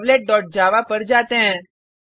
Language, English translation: Hindi, Go to CheckoutServlet.java